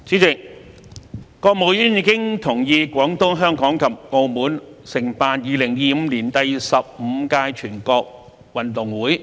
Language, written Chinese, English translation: Cantonese, 主席，國務院已同意廣東、香港及澳門承辦2025年第十五屆全國運動會。, President the State Council has given consent for Guangdong Hong Kong and Macao to host the 15th National Games in 2025